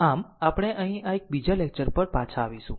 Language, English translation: Gujarati, So, we will come back to this another one here